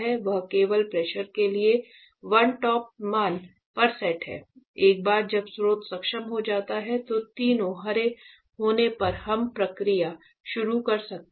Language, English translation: Hindi, So, it is set at a one stop value only for the pressure; once that is reached the source enabled will come on when all three are green we can start the process